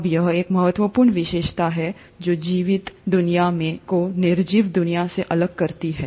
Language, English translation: Hindi, Now this is one critical feature which sets the living world separate from the non living world